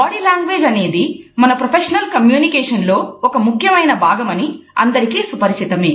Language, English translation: Telugu, As all of us are aware, body language is an integral part of our professional communication